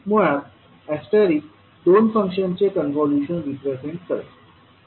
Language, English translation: Marathi, Basically the asterisk will represent the convolution of two functions